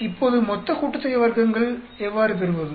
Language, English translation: Tamil, Now, how do get the total sum of squares